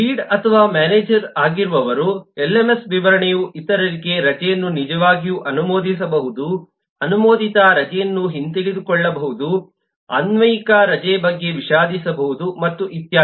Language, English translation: Kannada, those who are le lead or manager, the lms specification say can actually approve the leave for others, can revoke an approved leave, can regret an applied leave and so on